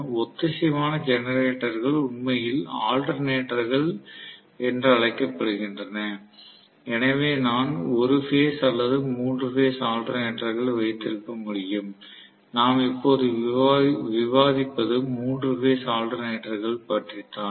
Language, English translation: Tamil, Synchronous generators are in actually known as alternators, so I can have a single phase or three phase alternator, what we are discussing is three phase alternator, right